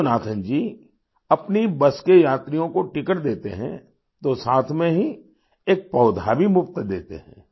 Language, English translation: Hindi, Yoganathanjiwhile issuing tickets to the passengers of his busalso gives a sapling free of cost